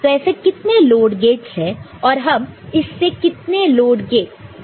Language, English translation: Hindi, So, how many such load gates are there, how many load gate you can connect by this